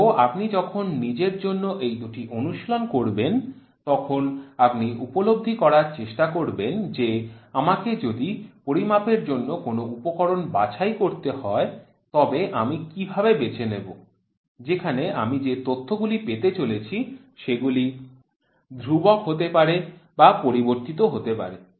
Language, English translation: Bengali, So, when you do this two exercise for yourself you will try to realize if at all I have to choose a instrument for measuring, how will I choose then whatever data I get is that data going to be constant or is it going to be varying